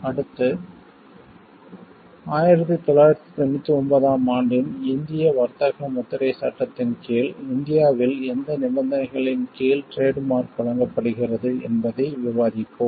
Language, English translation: Tamil, Next, we will discuss under what conditions is the trademark granted in India under that; Indian trades marks act of 1999